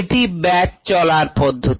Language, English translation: Bengali, that is the batch mode of operation